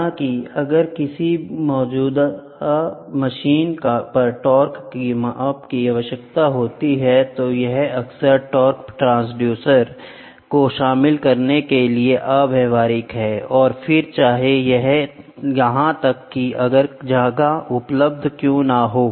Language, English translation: Hindi, However, if the torque measurements are required on an existing machine, it is often physically impractical to incorporate a torque transducer and even if space where available